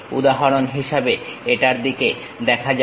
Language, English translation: Bengali, For example, let us look at this